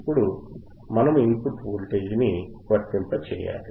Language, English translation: Telugu, Now, we have to apply the input voltage